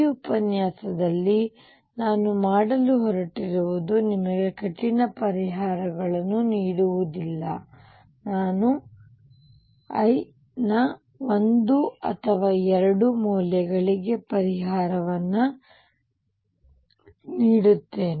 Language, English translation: Kannada, What I am going to do in this lecture is not give you very rigorous solutions, I will give solutions for one or two values of l